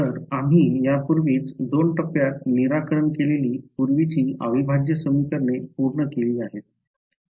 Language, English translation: Marathi, So, we have already come across this trick earlier integral equations always solved in 2 steps